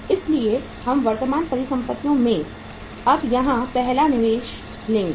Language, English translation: Hindi, So we will take here now the first investment in the current assets